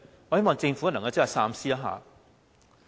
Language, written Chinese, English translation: Cantonese, 我希望政府能夠三思。, I hope that Government will think thrice